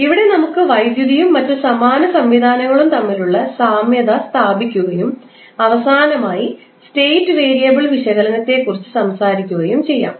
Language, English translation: Malayalam, So, we will establish the analogy between the electricity and other analogous systems and finally talk about the state variable analysis